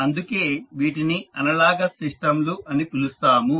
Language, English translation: Telugu, So, that is why they are called as analogous system